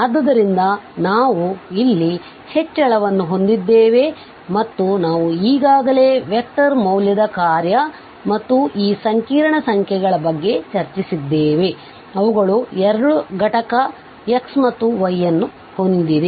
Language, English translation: Kannada, So, we have increment there and we have already discussed for vector valued function and these complex numbers, they have 2 component x and y